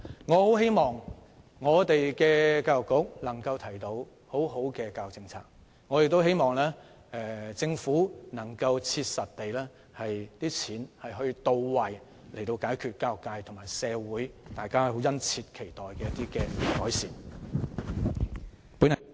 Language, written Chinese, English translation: Cantonese, 我很希望教育局能提出好的教育政策，亦希望政府在使用公帑時能切實到位，以達致教育界和社會殷切期待的改善。, I very much hope that the Education Bureau can work out a good education policy and that the Government can make practical and effective use of public coffers so as to achieve the improvement keenly awaited by the education sector and the community